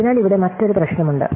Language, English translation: Malayalam, So, here is yet another problem